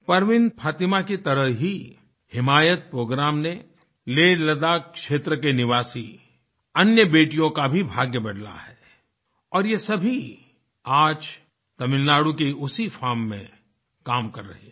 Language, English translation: Hindi, Like Parveen Fatima, the 'HimayatProgramme' has changed the fate of other daughters and residents of LehLadakh region and all of them are working in the same firm in Tamil Nadu today